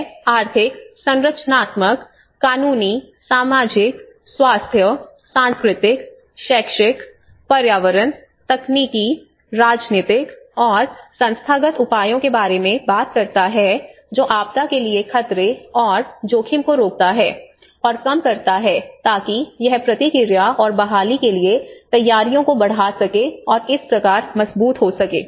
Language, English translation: Hindi, It talks about the economic, structural, legal, social, health, cultural, educational, environment, technological, political and institutional measures that prevent and reduce hazard, exposure and vulnerability to disaster so that it can increase the preparedness for response and recovery thus strengthening the resilience